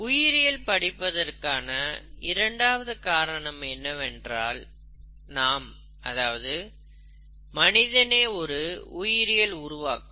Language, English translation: Tamil, Second reason is, second reason for studying biology is that biology is us, we are all biological creatures